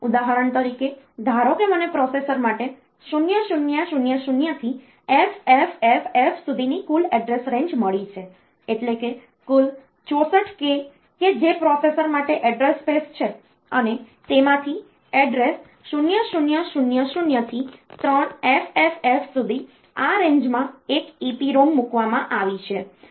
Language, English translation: Gujarati, For example; suppose, I have got a total address range for a processor from 0000 to FFFF, that is, total 64 k that is the address space for the processor and out of that the from address 0000 to 3FFF up in this range we are put one EPROM